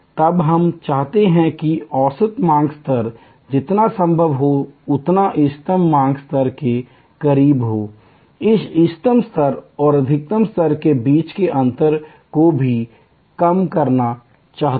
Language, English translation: Hindi, Then we want that average demand level to be as close to the optimum demand level as possible and we also want to reduce the gap between the optimal level and the maximum level